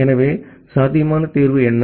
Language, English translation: Tamil, So, what can be a possible solution